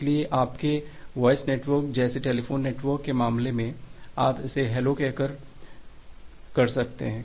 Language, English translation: Hindi, So, in case of your voice network like the telephone network, you can just do it by saying hello